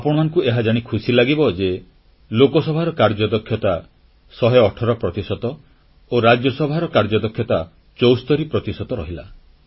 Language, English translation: Odia, You will be glad to know that the productivity of Lok Sabha remained 118 percent and that of Rajya Sabha was 74 percent